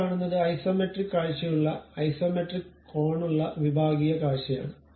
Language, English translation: Malayalam, The sectional view with isometric angle we Isometric view we are seeing